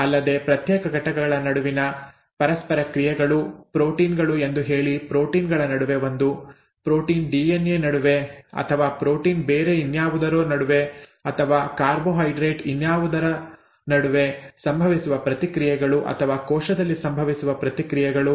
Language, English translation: Kannada, Also, interactions between individual units, say proteins, amongst proteins itself is 1; protein DNA, okay, or protein something else or maybe carbohydrate something else and so on or reactions that that occur in the cell